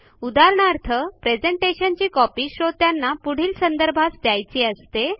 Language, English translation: Marathi, For example, you may want to give copies of your presentation to your audience for later reference